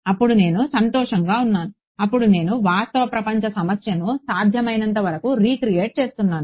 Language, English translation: Telugu, Then I am happy then I am recreating the real world problem as far as possible right